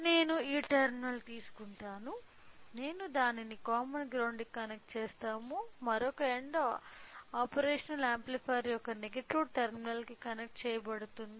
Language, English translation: Telugu, So, I will take this terminal I will connect it to the common ground whereas, another end should be connected to the negative terminal of an operational amplifier